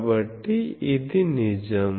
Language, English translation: Telugu, , so, this is true